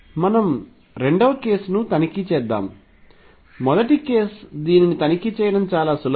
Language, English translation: Telugu, Let us check the second case; first case is very easy to check this one